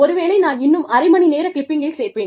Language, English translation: Tamil, But, maybe, I will just add on, another half an hour clip, only for the networking